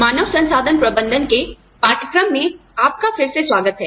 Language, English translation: Hindi, Welcome back, to the course on, Human Resources Management